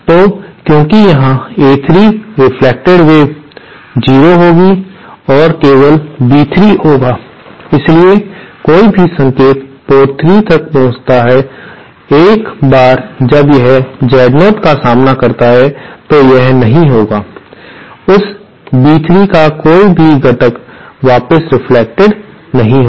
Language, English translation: Hindi, So, since here the A3 reflected wave will be 0 and only B3 willÉ So, any single reaching port 3, once it encounters Z0, it will not be, no component of that B3 will be reflected back